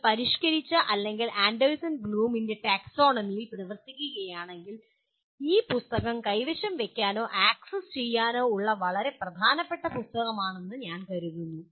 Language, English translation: Malayalam, This I consider a very important book that if you are working within the modified or Anderson Bloom’s taxonomy, this is a very very important book to have or access to this book